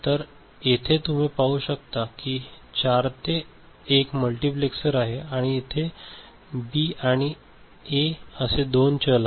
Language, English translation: Marathi, So, here you can see there is a 4 to 1 multiplexer right and there are two variables B and A